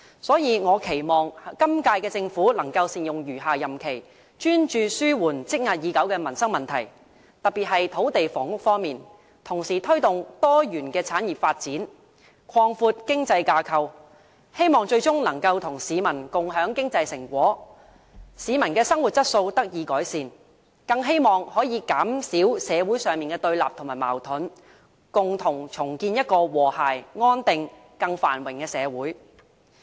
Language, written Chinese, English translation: Cantonese, 所以，我期望本屆政府能善用餘下任期，專注紓緩積壓已久的民生問題，特別是土地房屋方面，同時推動多元產業發展，擴闊經濟架構，希望最終能與市民共享經濟成果，令市民的生活質素得以改善，更希望能減少社會的對立和矛盾，共同重建一個和諧、安定、繁榮的社會。, I thus hope that the current - term Government can make good use of the remaining time to focus on alleviating the long - existed livelihood issues especially those related to land and housing and at the same time take forward a diversified development of industries to broaden our economic framework . I hope that by so doing the Government can ultimately share economic returns with the people thereby improving their quality of life . I also hope that by so doing it can reduce oppositions and conflicts in society so that we can build a harmonious stable and prosperous society together